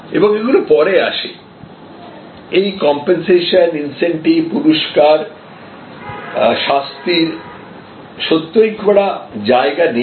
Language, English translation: Bengali, And this comes later, this compensation, incentives, rewards, punishment really does not have much of a position